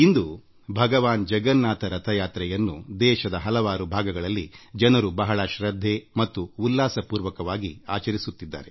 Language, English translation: Kannada, The Car festival of Lord Jagannath, the Rath Yatra, is being celebrated in several parts of the country with great piety and fervour